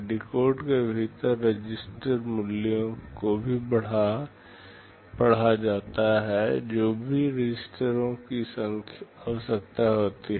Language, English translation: Hindi, Within the decode, the register values are also read whatever registers are required